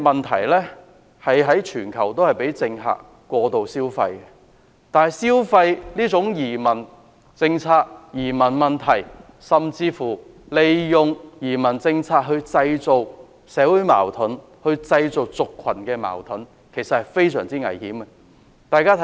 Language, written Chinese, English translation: Cantonese, 其實，全球的政客也會過度消費移民問題，甚至利用移民政策來製造社會矛盾、製造族群矛盾，這是非常危險的。, In fact all politicians in the world may over - abuse the issue of immigrants or even use the immigration policy to create social conflicts and racial conflicts . This is very dangerous